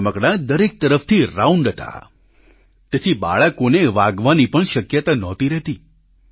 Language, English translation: Gujarati, These toys were round from all sides hence there was no scope for injury to children